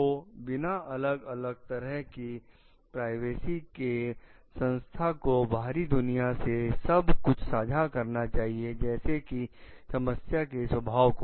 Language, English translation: Hindi, So, without variety in the privacy, the organization must share to the outside world like of the nature of the problem